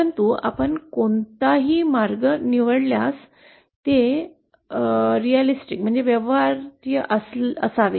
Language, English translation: Marathi, But whichever path we choose, it should be feasible